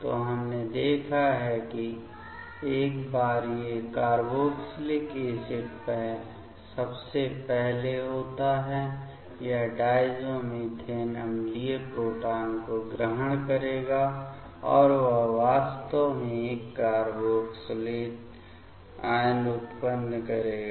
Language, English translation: Hindi, So, we have seen that once these carboxylic acid is there first; this diazomethane will pick up the acidic proton and that will actually generate this carboxylate anion